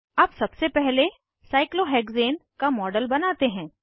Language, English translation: Hindi, Let us first create a model of cyclohexane